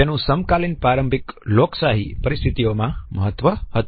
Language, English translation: Gujarati, It was particularly important in the contemporary rudimentary democratic situations